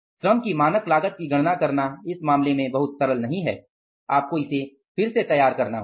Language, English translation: Hindi, Calculating the standard cost of the labor will be not, it is not very simple in this case